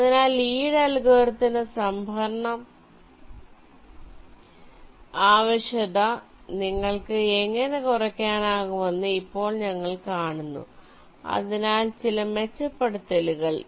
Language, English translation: Malayalam, so now we see that how you can reduce the storage requirement of the lees algorithm, show some improvements